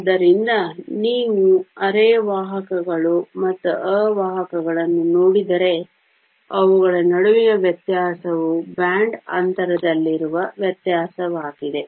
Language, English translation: Kannada, So, if you look at both semiconductors and insulators the difference between them is the difference in the band gap